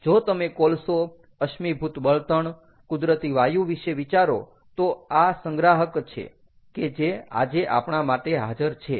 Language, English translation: Gujarati, ok, if you think of coal, fossil fuel, natural gas, there are reservoirs that are in which it is available today to us